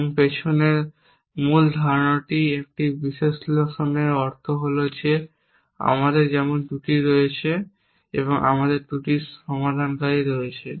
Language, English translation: Bengali, And the basic idea behind means an analysis is that just like we have flaws and we have resolvers of flaws